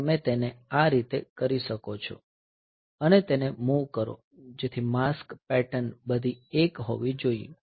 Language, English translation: Gujarati, So, that you can do it like this, so move so for that the mask pattern should be all 1